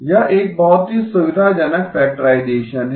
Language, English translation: Hindi, This is a very convenient factorization